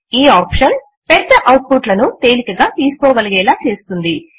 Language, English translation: Telugu, This option makes it easier to collect large outputs